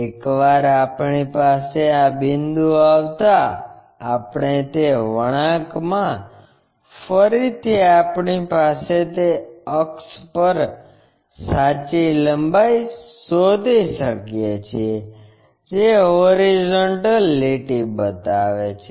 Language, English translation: Gujarati, Once, we have that point, we have that curve again we locate a true length on that axis, which makes a horizontal line